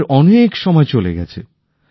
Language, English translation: Bengali, We have already lost a lot of time